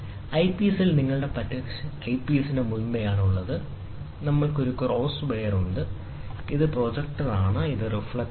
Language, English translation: Malayalam, In the eyepiece, what you have is the before the eyepiece, we have a cross wire, and then this is projector, and this is reflector